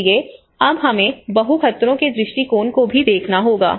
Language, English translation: Hindi, So now we have to look at the multi hazard approach as well